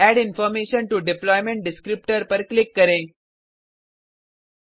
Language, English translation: Hindi, Click on Add information to deployment descriptor (web.xml)